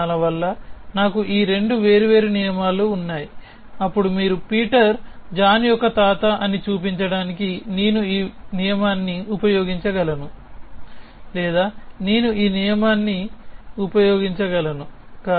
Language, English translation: Telugu, For some reasons I have these 2 separate rule, then you can see that to show that Peter is a grandfather of John I could either use this rule or I could use this rule